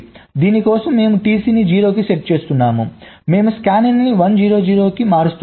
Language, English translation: Telugu, so for this we are setting t c to zero, we are shifting to scanin one zero, zero